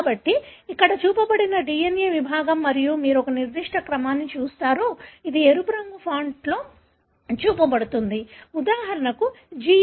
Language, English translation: Telugu, So, what is shown here is DNA segment and you see a particular sequence, which is shown in the red color font, for example, GAATTC